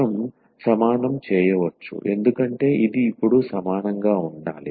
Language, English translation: Telugu, So, we can equate because this must be equal now